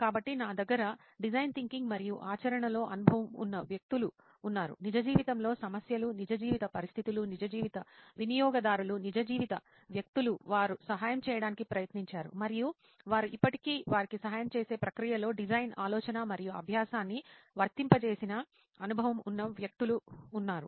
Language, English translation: Telugu, So here with me I have people who have experienced applying design thinking and practice in real life problems, real life situations, real life customers, real life people whom they have tried to help and they are still in that process of helping them